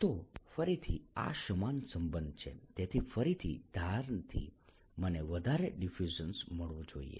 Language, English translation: Gujarati, so again, from the edges i should see a large diffusion